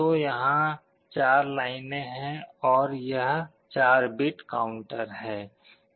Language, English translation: Hindi, So, there are 4 number of lines here and it is a 4 bit counter